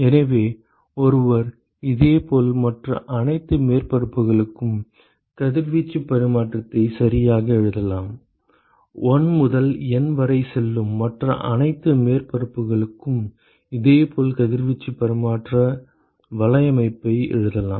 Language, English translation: Tamil, So, one could similarly write the radiation exchange for all the other surfaces right, one could similarly write radiation exchange network for all the other surfaces going from 1 to N